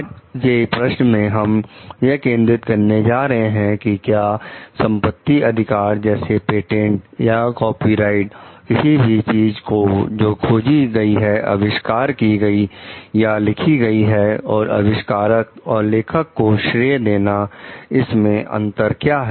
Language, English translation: Hindi, In today s key question we are going to focus on what is the difference between having a property right such as, a patent or a copyright for something one has invented, or written, and credit for having invented or written it